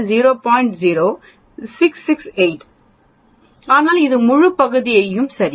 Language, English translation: Tamil, 0668 but this whole area, right